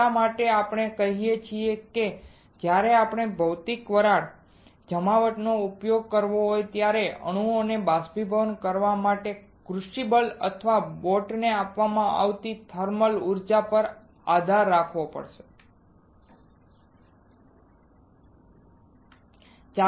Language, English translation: Gujarati, That is why what we say here is when you have to use Physical Vapor Deposition it has to rely on the thermal energy supplied to the crucible or boat to evaporate atoms you got it to evaporate atoms